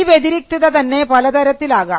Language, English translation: Malayalam, The distinctiveness can be of different types